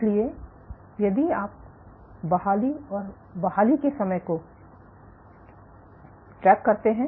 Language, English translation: Hindi, So, if you track the time to recovery and the recovery time